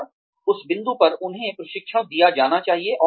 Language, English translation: Hindi, And, at that point, the training should be given to them